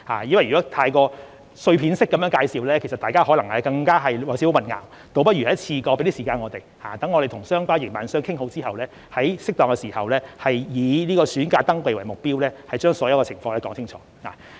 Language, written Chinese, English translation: Cantonese, 因為如果太過碎片式地介紹，大家可能會感到少許混淆，倒不如一次過，給我們一點時間，讓我們與相關營辦商談妥後，在適當時候——以在暑假登記為目標——把所有情況說明清楚。, A fragmented explanation may cause some confusion . So it would be better to give us more time to reach understandings with the SVF operators so that we can give an explanation once for all on all issues concerned at a suitable time and our target is to start registration in this summer